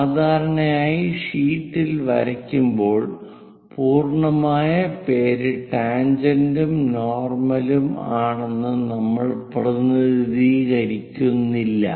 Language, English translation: Malayalam, Usually, on drawing sheets, we do not represent complete name tangent normal